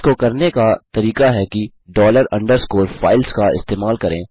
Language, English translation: Hindi, The way to do this is by using dollar underscore FILES